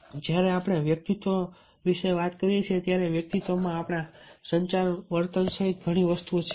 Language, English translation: Gujarati, and when we talk about the personality, of course in personality there are several things, including our communication behavior